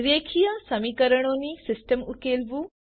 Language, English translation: Gujarati, Solve the system of linear equations